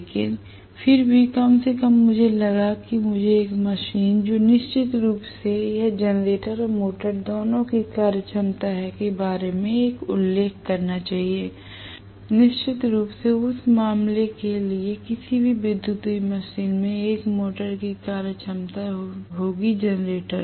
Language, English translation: Hindi, But nevertheless at least I thought I should make a passing mention at what point a machine, which is definitely it is going to have functionality of both generator and motor, definitely any electrical machine for that matter will have the functionality of a motor as well as generator